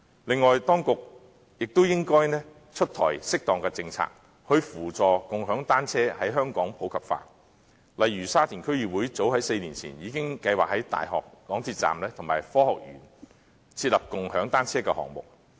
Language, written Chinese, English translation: Cantonese, 此外，當局亦應提出適當的政策，以扶助共享單車在香港普及化，例如沙田區議會早在4年前已經計劃在大學港鐵站及科學園設立共享單車的項目。, Furthermore appropriate policies should be proposed to assist the popularization of bicycle - sharing in Hong Kong . For instance the Sha Tin District Council already planned to undertake bicycle - sharing projects at the University Mass Transit Railway Station and Science Park as early as four years ago